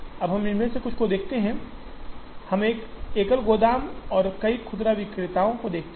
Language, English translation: Hindi, Now, we look at some of these, we look at a single warehouse and multiple retailers